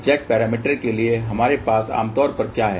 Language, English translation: Hindi, What we have generally for Z parameters